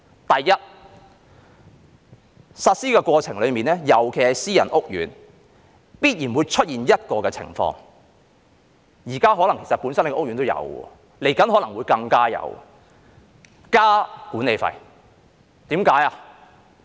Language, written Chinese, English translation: Cantonese, 第一，在實施的過程中，尤其是私人屋苑，必然會出現一種情況，現在的屋苑可能已有，未來可能會更多，就是增加管理費。, First in the process of implementation especially in private housing estates a situation is set to arise . It may have happened already in housing estates now and there may be more such cases in the future and that is an increase in management fees